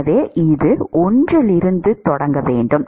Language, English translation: Tamil, So, it should start from 1